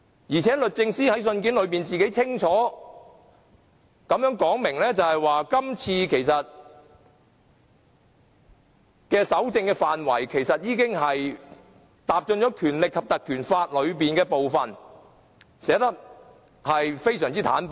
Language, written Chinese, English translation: Cantonese, 再者，律政司在信件裏清楚指出，今次搜證的範圍已經踏進了《立法會條例》的部分，寫得非常坦白。, Moreover DoJ has clearly and very frankly stated in the letter that this time the scope of evidence gathering falls within the ambit of the Ordinance